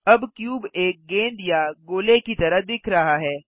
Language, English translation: Hindi, Now the cube looks like a ball or sphere